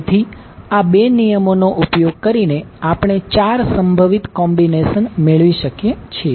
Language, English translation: Gujarati, So, using these 2 rules, we can figure out that there are 4 possible combinations